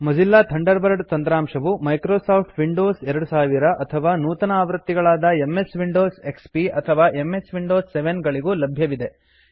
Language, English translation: Kannada, Mozilla Thunderbird is also available for Microsoft Windows 2000 or later versions such as MS Windows XP or MS Windows 7